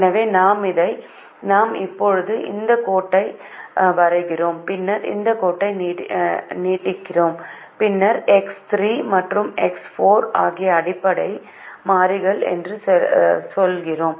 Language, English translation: Tamil, we draw this line and then we say x three and x four are the basic variables